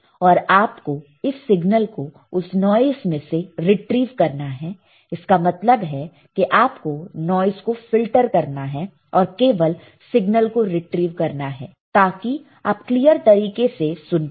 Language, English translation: Hindi, Then you have to retrieve this signal from the noise right that means, you have to filter out this noise and retrieve only the signal, so that you can hear it clearly all right